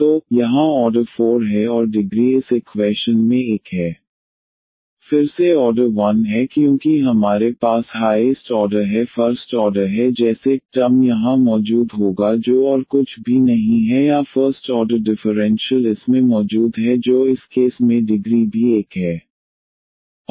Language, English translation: Hindi, So, here the order is 4 and the degree is 1 in this equation again the order is 1 because we have the highest order is the first order like, dy dx term will be present here nothing else or the first order differentials are present in this case and the degree is also 1